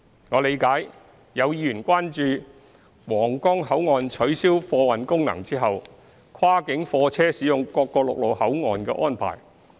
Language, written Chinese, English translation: Cantonese, 我理解有議員關注皇崗口岸取消貨運功能後，跨境貨車使用各個陸路口岸的安排。, I understand that Members are concerned about the cross - boundary freight transport arrangement at other land control points after the freight transport function at Huanggang Port is abolished